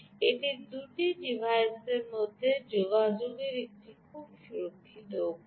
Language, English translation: Bengali, it's a very secure way of communicating between two devices